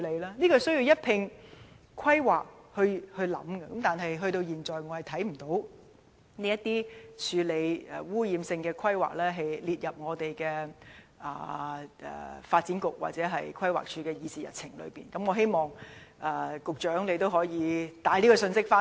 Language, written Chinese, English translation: Cantonese, 這些事情必須在進行規劃時一併考慮，但我至今仍看不到政府把如何處理這些污染性規劃列入發展局或規劃署的議事日程，我希望局長可以把這個信息帶回去。, All these matters have to be considered as a whole during planning . Yet I fail to see that the Government has listed the planning of these offensive trades in the agenda of either the Development Bureau or the Planning Department . I hope that the Secretary will relay this message to the relevant departments